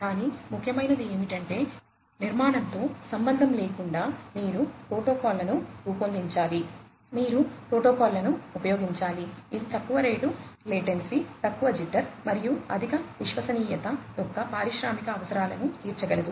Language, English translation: Telugu, But, what is important is irrespective of the architecture, you need to design protocols, you need to use the protocols, which will cater to the industrial requirements of low rate latency, low jitter, and high reliability